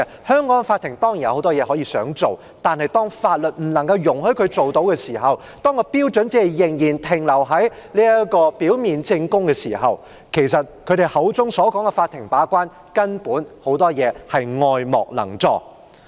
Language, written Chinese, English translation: Cantonese, 香港的法庭當然有很多事情可以做到，但當法律不容許法庭採取某些行動時，當標準仍然停留在表面證供時，建制派議員口中的"法庭把關"很多時根本是愛莫能助。, There are of course many things that the courts in Hong Kong can accomplish; but when the courts are prohibited by law to take certain actions and when prima facie evidence is the standard of proof very often there is not much the court can do with regard to the gatekeeping role as claimed by pro - establishment Members